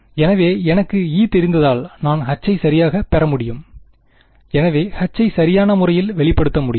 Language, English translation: Tamil, So, if I know E can I get H right, so I can express H in terms of phi right